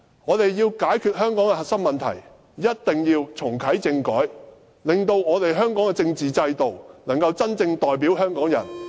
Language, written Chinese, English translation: Cantonese, 我們要解決香港的核心問題，一定要重啟政改，令香港的政治制度能夠真正代表香港人......, We must reactivate constitutional reform to resolve the core problems in Hong Kong and make our constitutional system truly represent Hong Kong people I so submit